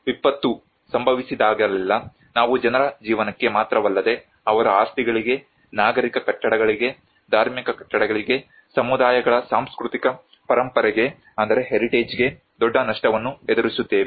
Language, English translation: Kannada, Whenever a disaster happens, we encounter a huge loss not only to the lives of people but to their properties, to the civic buildings, to the religious buildings, to the cultural heritage of the communities